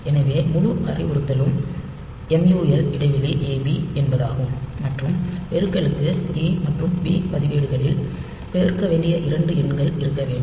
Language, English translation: Tamil, So, the whole instruction is MUL blank A B and for multiplication this A and B registers should have the two numbers to be multiplied